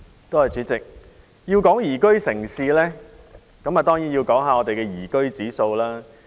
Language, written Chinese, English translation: Cantonese, 代理主席，討論宜居城市這議題時，當然要談到本港的宜居指數。, Deputy President during the debate on the theme of Liveable City it is of course necessary to talk about Hong Kongs liveability ranking